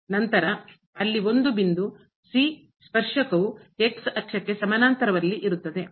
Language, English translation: Kannada, Then, there exist a point here where the tangent is parallel to the axis